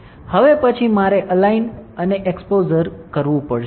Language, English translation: Gujarati, Next one is I have to align and expose